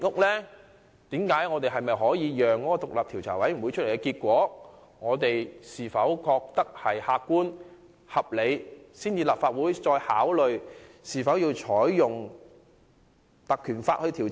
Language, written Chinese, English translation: Cantonese, 可否先等獨立調查委員會公布調查結果，視乎其結果的客觀及合理程度，才考慮應否引用《條例》進行調查？, Can we wait for the inquiry outcome to see whether it is objective and reasonable before considering the invocation of the Ordinance?